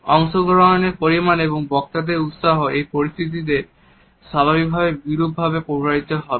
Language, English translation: Bengali, The level of participation as well as the enthusiasm of the speakers would automatically be adversely affected in this situation